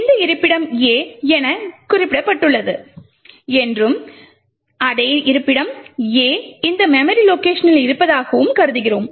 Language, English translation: Tamil, Further we assume that we have this location specified as A and the same location A is present in this memory location